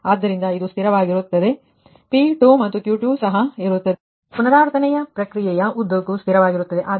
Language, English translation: Kannada, so this will remain constant and p two and q two also will remain constant throughout the iterative process, right